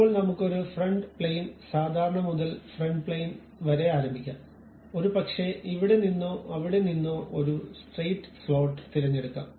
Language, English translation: Malayalam, Now, let us begin with a Front Plane normal to front plane maybe pick a Straight Slot from here to there to that